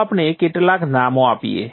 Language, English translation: Gujarati, Let us give some names